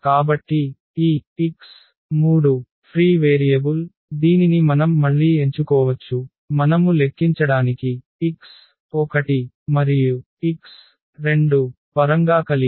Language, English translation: Telugu, So, this x 3 is the free variable which we can choose again as as alpha; having that alpha we can compute the x 1 and x 2 in terms of of alpha